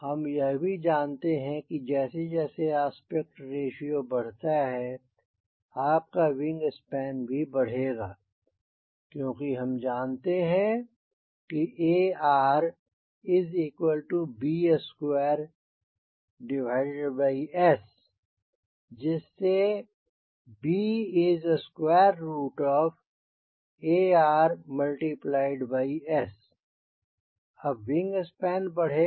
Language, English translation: Hindi, and we also know that as aspect ratio will increase, your wing span will also increase, since we know that b square upon s is aspect ratio, so b will be root under aspect ratio into area